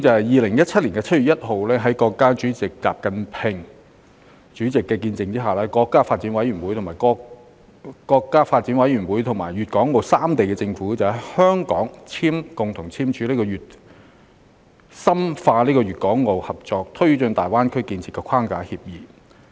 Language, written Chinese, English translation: Cantonese, 2017年7月1日，在國家主席習近平的見證下，國家發展和改革委員會和粵港澳三地政府在香港共同簽署《深化粵港澳合作推進大灣區建設框架協議》。, Witnessed by President XI Jinping the National Development and Reform Commission and the governments of Guangdong Hong Kong and Macao signed the Framework Agreement on Deepening Guangdong - Hong Kong - Macao Cooperation in the Development of the Greater Bay Area in Hong Kong on 1 July 2017